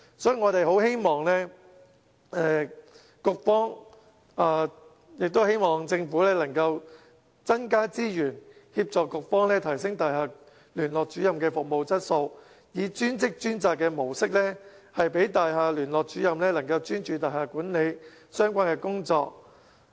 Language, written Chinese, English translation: Cantonese, 所以我們希望局方和政府能增加資源，提升大廈聯絡主任的服務質素，以"專職專責"模式讓大廈聯絡主任能專注大廈管理相關的工作。, So we hope the Bureau and the Government can allocate more resources to improve Liaison Officers service quality and grant them the status as professional grade staff enabling them to focus on tasks relevant to building management